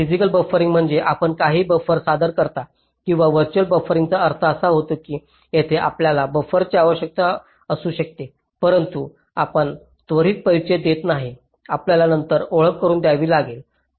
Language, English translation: Marathi, physical buffering means you introduce some buffers, or virtual buffering means you indicate that here you may require a buffer, but you do not introduce right away, you may need to introduce later